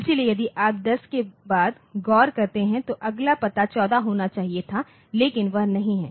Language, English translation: Hindi, So, if you look into this after one 0 the next address should have been 1 4, but that is not there